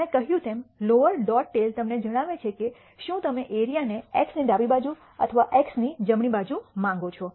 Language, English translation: Gujarati, As I said the lower dot tail tells you whether you want the area to the left of x or to the right of x